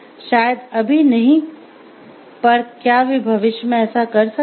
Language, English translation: Hindi, Maybe not now, can they be so in future